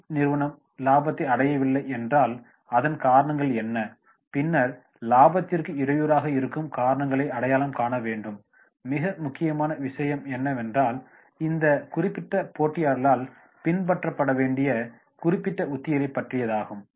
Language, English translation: Tamil, If the industry company is not going into the profit, what are the reasons and then identify those reasons which are hampering the profit then very very important point is that is about the specific strategies to be adopted by this particular competitors